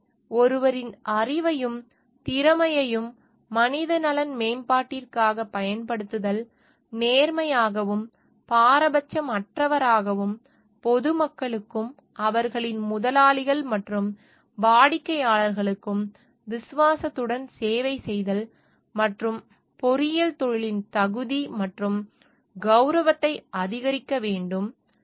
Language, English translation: Tamil, So, using of one s knowledge and skill for the enhancement of human welfare, being honest and impartial and serving with fidelity the public, and their employers and clients; and to increase the competence and prestige of the engineering profession